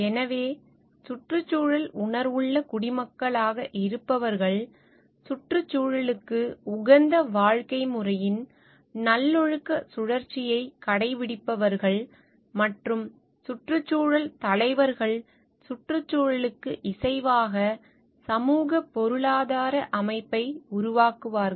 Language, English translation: Tamil, So, who are environmentally conscious citizens are those who adopt virtuous cycle of environmentally friendly lifestyles and environmental leaders would develop socioeconomic system in harmony with the environment